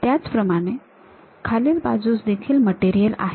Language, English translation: Marathi, Similarly, at bottom also we have that kind of material